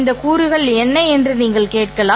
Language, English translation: Tamil, You can ask where are these components